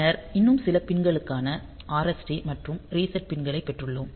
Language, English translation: Tamil, Then we have got some more pins RST or reset pin